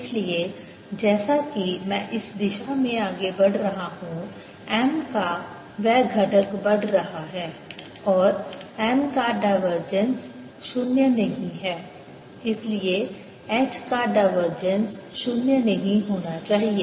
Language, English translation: Hindi, so, as i am moving in the direction this way, that component of m is increasing and divergence of m is not zero